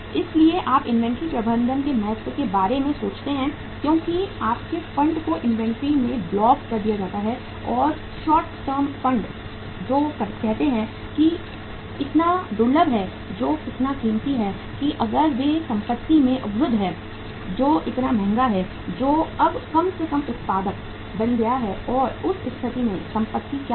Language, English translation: Hindi, So you think about the importance of inventory management because your funds are blocked in the inventory and short term funds which are say so scarce which are so uh say precious which are so expensive if they are blocked into asset which is which has become now the least productive asset in that case what will happen